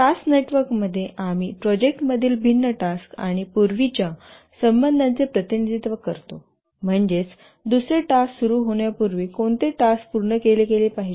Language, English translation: Marathi, In the task network, we represent the different tasks in the project and also the precedence relationships, that is, which task must complete before another task can start